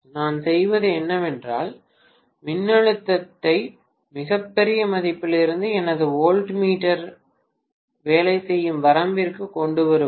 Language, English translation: Tamil, What I am doing is to bring down the voltage from a very very large value to a range where my voltmeter will work